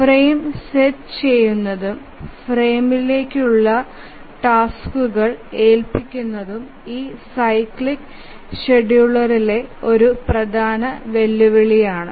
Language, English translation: Malayalam, Setting up the frame and assigning the tasks to the frames is a major challenge in this cyclic scheduling